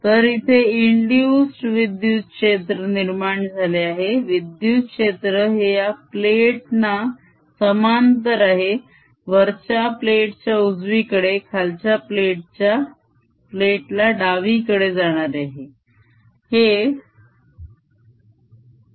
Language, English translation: Marathi, electric field is going to be like parallel to the plate, going to the right on the upper plate and going to the left on the lower plate